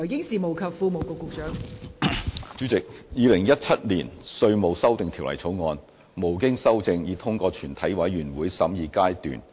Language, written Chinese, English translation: Cantonese, 代理主席，《2017年稅務條例草案》無經修正已通過全體委員會審議階段。, Deputy President the Inland Revenue Amendment Bill 2017 has passed through the Committee stage without amendment